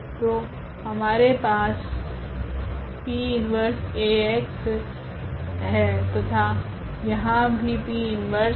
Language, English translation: Hindi, So, we have P inverse e Ax and here also P inverse